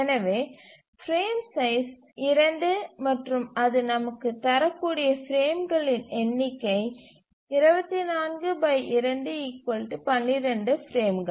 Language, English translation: Tamil, And also the number of frames that it can give us is 24 by 2 is 12